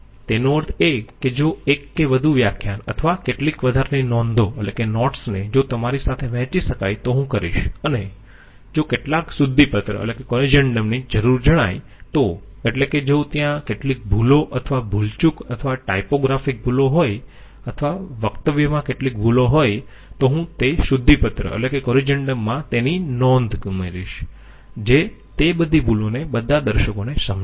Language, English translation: Gujarati, And I will review the lectures once again and if I feel that okay one or two lectures or notes if it can be shared I mean one more lecture or some extra notes if it can be shared with you and if some corrigendum is required that means if there are some errors or mistakes or typographical errors or some mistakes in delivery, I will add a note of corrigendum which will explain all those errors to all the viewers